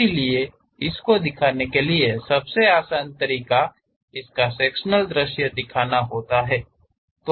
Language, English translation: Hindi, So, to represent that, the easiest way is representing the sectional view